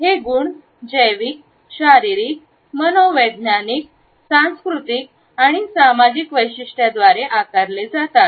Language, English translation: Marathi, These qualities are shaped by biological, physiological, psychological, cultural, and social features